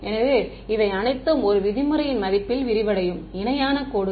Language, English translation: Tamil, So, these are all parallel lines that are expanding in the value of the 1 norm